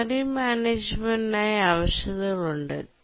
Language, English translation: Malayalam, There are requirements on memory management